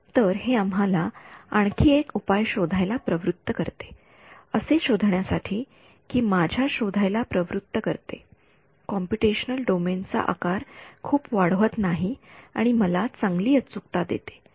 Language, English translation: Marathi, So, this motivates us to go for something else we want to find a see there is another solution that does not increase the size of my computational domain a lot and gives me good accuracy ok